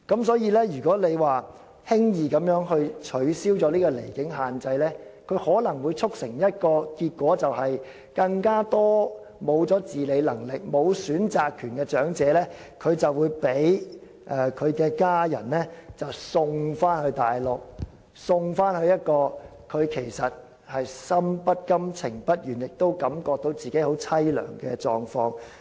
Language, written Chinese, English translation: Cantonese, 所以，如果輕易取消離境限制，可能會導致一個結果，便是更多失去自理能力、沒有選擇權的長者會被家人送到內地，處於一個心不甘、情不願，並且感到自己十分淒涼的狀況。, Therefore the rash abolition of the limit on absence from Hong Kong may lead to the result that more elderly people without self - care abilities and the right to choose will be sent to the Mainland by their families and plunged into a state of indignation and self - pity